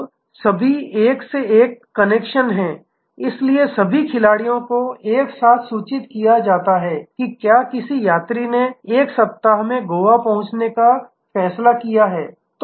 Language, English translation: Hindi, Now, there are all one to one connections, so all players are simultaneously informed if a passenger has decided to shift his or her arrival in Goa by a week